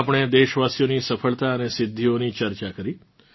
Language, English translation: Gujarati, We discussed the successes and achievements of the countrymen